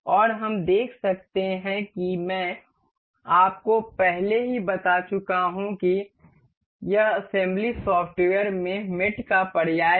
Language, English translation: Hindi, And we can see I have already told you this assembly is synonymous to mate in the software